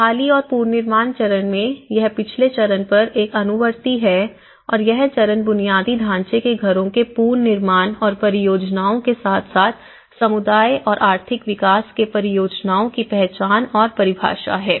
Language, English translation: Hindi, And in recovery and the reconstruction phase so, it is a follow up on to the previous phase and this phase is the identification and definition of projects to rebuild the houses of infrastructure and as well as, the projects for community and the economic development